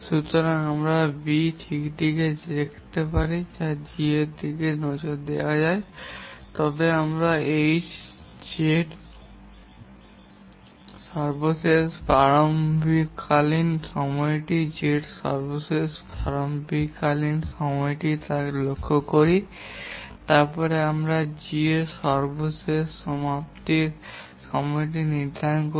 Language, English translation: Bengali, So if we look at B, let's look at G, then we look at what is the latest start time of X, and then we set the latest start time of Z and then we set the latest completion time of G